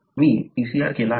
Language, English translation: Marathi, I have done a PCR